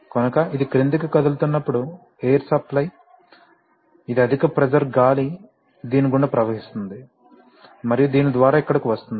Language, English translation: Telugu, So when it moves downward the air supply, which is a high pressure air will flow through this, and through this, and will come here